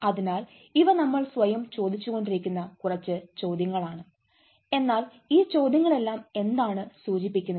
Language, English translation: Malayalam, so these are few questions we keep asking ourselves but all this questions conveys what